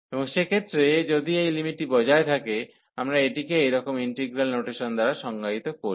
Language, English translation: Bengali, And in that case if this limit exist, we define this by such integral notation